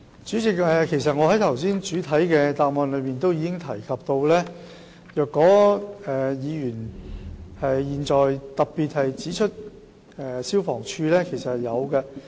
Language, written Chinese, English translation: Cantonese, 主席，我剛才在主體答覆中已經提及，議員特別指出的消防處是有執法的。, President as I mentioned in the main reply just now FSD particularly referred to by the Honourable Member has taken enforcement actions